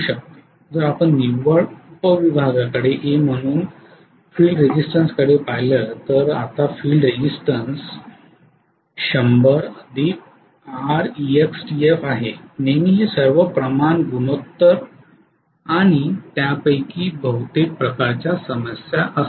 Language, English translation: Marathi, if you look at net sub division the field resistance as an A, so now the field resistance is 100 plus R external F right, always this is all proportion, ratio and proportion kind of problems most of them